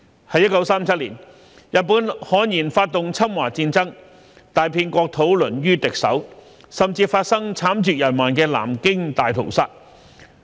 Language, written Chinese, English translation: Cantonese, 1937年，日本悍然發動侵華戰爭，大片國土淪於敵手，甚至發生慘絕人寰的南京大屠殺。, In 1937 the Japanese blatantly waged a war of aggression against China vast swathes of our countrys land fell into the enemys hands and there was even the horrendous Nanjing Massacre